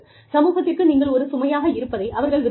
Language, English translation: Tamil, They do not want you, to be a burden on society